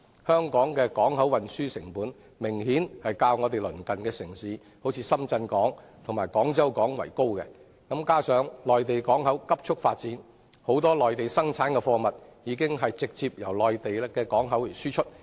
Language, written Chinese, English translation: Cantonese, 香港的港口運輸成本明顯較鄰近的深圳港及廣州港為高，加上內地港口迅速發展，眾多內地生產的貨物已直接由內地港口出口。, The transport costs to HKP are apparently higher compared with the neighbouring Shenzhen Port and Guangzhou Port . In addition given the rapid development of Mainland ports many products produced on the Mainland are being exported from Mainland ports directly